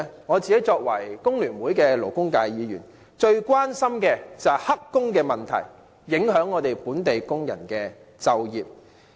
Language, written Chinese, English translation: Cantonese, 我作為工聯會的勞工界別議員，最關心的便是"黑工"問題影響本地工人就業。, As a Member representing the labour sector affiliated to FTU my greatest concern is about the employment of local workers being affected by the problem of illegal employment